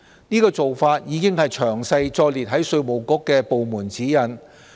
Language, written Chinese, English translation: Cantonese, 這個做法已詳細載列於稅務局的部門指引。, Such a practice has been set out in detail in the departmental guidelines of IRD